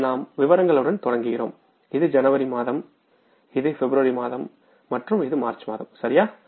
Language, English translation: Tamil, This is the month of January, this is the month of February and this is a month of March